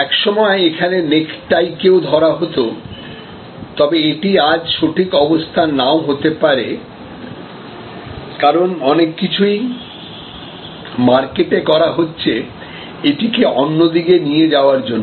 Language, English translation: Bengali, At one time, necktie was placed here, but it may not be the right position today, because there are many things to happening in that market to do push it this way